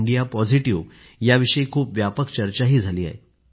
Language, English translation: Marathi, indiapositive has been the subject of quite an extensive discussion